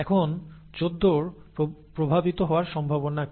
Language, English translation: Bengali, Now what is the probability that 14 is affected